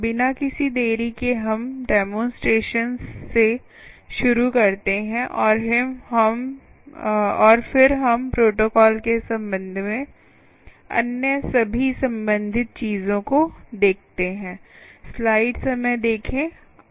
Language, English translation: Hindi, ok, without any delay, let us start with the demonstrations and then we look at all other related things with respect to the ah, with the, with respect to the protocol